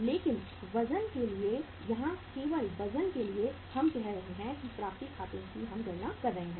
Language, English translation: Hindi, But for the weight sake here only for the weight sake we are taking the say uh accounts receivable we are calculating